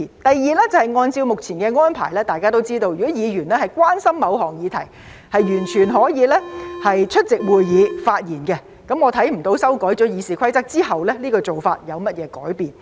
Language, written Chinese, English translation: Cantonese, 第二是按照目前的安排，大家也知道，如果議員關心某項議題，完全可以出席會議發言，我看不到修改《議事規則》後，這做法有何改變。, The second point is that under the existing arrangement as we know if Members are concerned about a certain issue they can attend meetings and speak out . I do not see how this practice will change after amending RoP . The third point is that flexible provisions have been introduced with the amendments